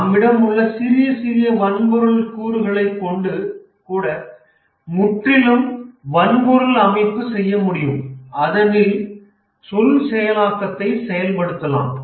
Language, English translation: Tamil, We can even have a small hardware component, entirely hardware, which can also do this word processing